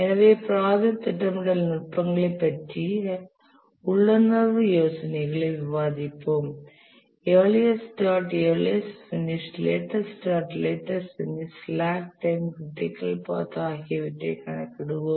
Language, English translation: Tamil, So that is the intuitive idea and we will discuss the project scheduling techniques using which we will compute the earliest start, earliest finish, latest start, latest finish, the slack times, the critical path